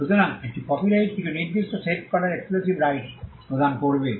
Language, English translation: Bengali, So, a copyright would confer an exclusive right to do certain set of things